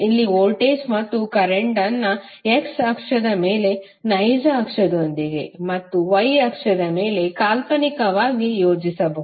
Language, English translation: Kannada, Here, if you plot the voltage and current on the jet plane image with real axis on x axis and imaginary on the y axis